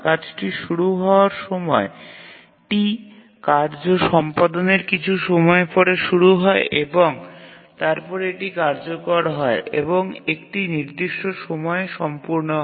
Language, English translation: Bengali, So as the task is released at time T, the task execution starts after some time and then it executes and completes at certain time